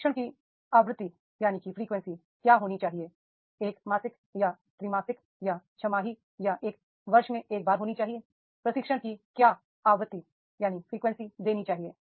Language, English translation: Hindi, Frequency of training that is the it should be the monthly or the quarterly or half yearly or once in a year what frequency of training is to be provided